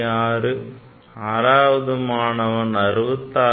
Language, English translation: Tamil, 66 sixth student can write 66